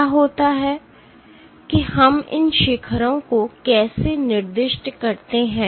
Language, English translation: Hindi, What happens how do we assign these peaks